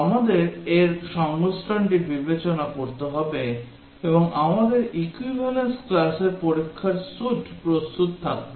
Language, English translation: Bengali, We have to consider combination of this and will have our equivalence class test suite ready